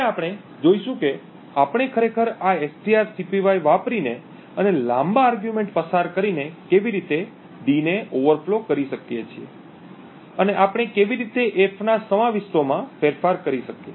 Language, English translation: Gujarati, Now we will see how we can actually overflow d using this strcpy and passing an argument which is longer and how we could actually modify the contents of f